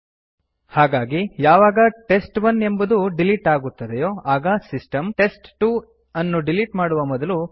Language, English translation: Kannada, So we saw that while test1 was silently deleted, system asked before deleting test2